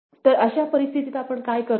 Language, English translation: Marathi, So, in such a situation what we do